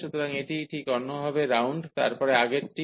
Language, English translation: Bengali, So, this is just the other way round, then the earlier one